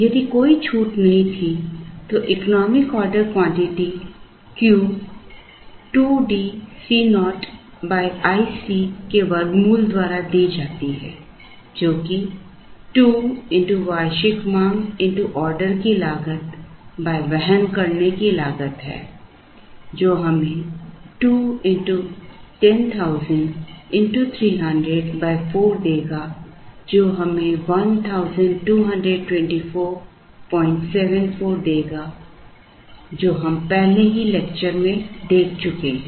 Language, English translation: Hindi, If there was no discount then the economic order quantity Q is given by root of 2 D C naught by i into C, 2 into annual demand into order cost by carrying cost, which would give us 2 into 10,000 into 300 by 4, which will give us 1224